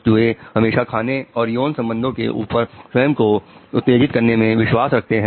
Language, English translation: Hindi, Rats will often choose self stimulation over food and sex